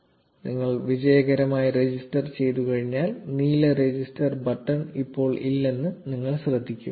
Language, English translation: Malayalam, Once you register successfully, you will notice that the blue register button is now gone